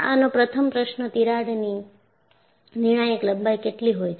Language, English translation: Gujarati, So, the first question is, "what is a critical length of a crack